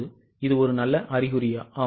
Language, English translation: Tamil, Now is it a good sign